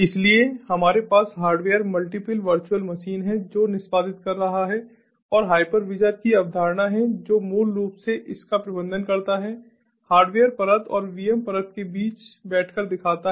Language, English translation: Hindi, so we have, on top of the hardware, multiple virtual machines executing and there is the concept of hypervisor which basically manages this show by sitting between the hardware layer and the vm layer